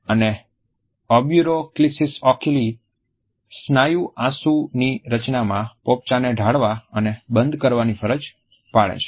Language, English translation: Gujarati, And the orbicularis oculi muscle forces the eyelids to drop and closed in response to the formation of tears